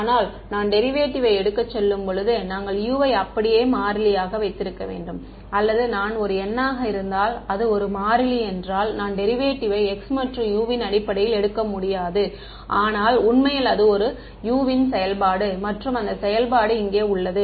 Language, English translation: Tamil, But when I go to take the derivative are we keeping U to be constant or if I if it is a number then it is a constant I cannot take the derivative with respect to x for U, but actually it is U is a function of x and that function is here